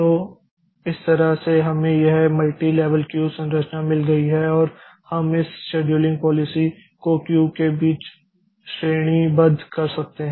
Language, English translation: Hindi, So, this way we have got this multi level queue structure and we can we can categorize between this scheduling policies between among the cues